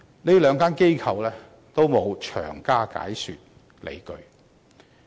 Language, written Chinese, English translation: Cantonese, 這兩間機構均沒有詳加解說理據。, Both institutions have not detailed their justifications